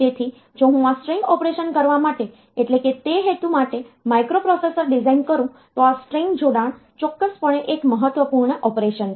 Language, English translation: Gujarati, So, if I design a microprocessor for that purpose for doing this string operation then this string concatenation is definitely one important operation